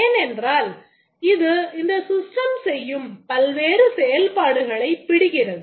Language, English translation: Tamil, It captures the various functionalities that the system performs